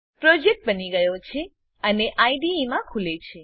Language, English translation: Gujarati, The project is created and opened in the IDE